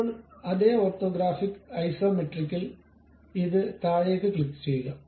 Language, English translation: Malayalam, Now, in the same orthographic Isometric click this down one